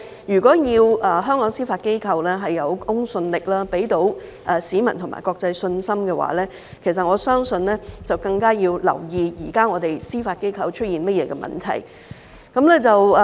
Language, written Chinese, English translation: Cantonese, 如果想香港司法機構有公信力，能給予市民和國際社會信心，我相信我們更要留意現時司法機構出現了甚麼問題。, If we want Hong Kongs judiciary to have credibility and be able to give confidence to the public and the international community I believe we have got to pay more attention to what problems have now emerged in the judiciary